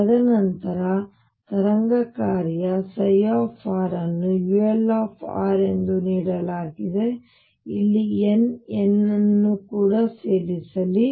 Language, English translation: Kannada, And then the wave function psi r is given as u l r let me also include n, n out here